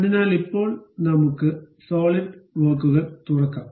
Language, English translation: Malayalam, So, now let us open the solidworks